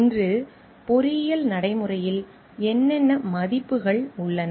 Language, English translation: Tamil, What values underlie engineering practice today